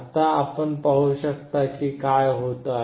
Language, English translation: Marathi, Now can you see what is happening